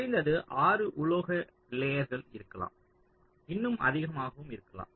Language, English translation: Tamil, ok, in particular, there can be at least six metal layers, even more so typically